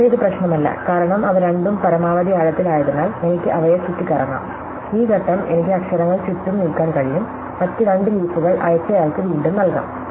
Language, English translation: Malayalam, But, it does not matter, because since they are both at maximum depth, I can move them around, this step, I can move letters around, I can reassign the two other leaf to a sender